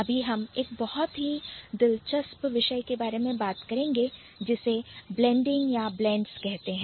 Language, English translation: Hindi, Then I am going to talk about a very interesting phenomenon called blending or blends